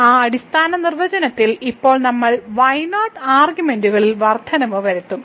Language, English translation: Malayalam, So, in that fundamental definition now we will make an increment in arguments